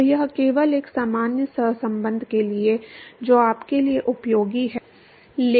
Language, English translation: Hindi, So, it is just for a general correlation, which is useful to you, useful in certain calculation purposes